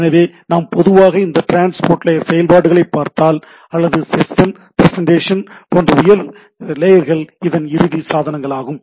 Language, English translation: Tamil, So, this is typically if we see this transport layer functionalities or higher layer like session presentation etcetera that are the end devices right